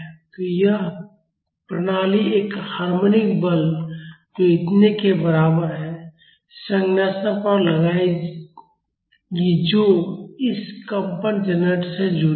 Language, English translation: Hindi, So, this system will exert a harmonic force which is equal to this much to a structure which is attached to this vibration generator